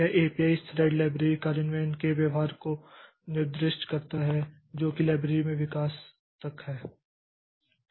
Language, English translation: Hindi, This API it specifies behavior of the thread library, implementation is up to the development of the library